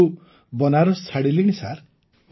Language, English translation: Odia, I have left Banaras since 2006 sir